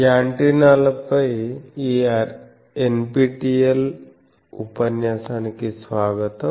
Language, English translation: Telugu, Welcome to this NPTEL lecture on antennas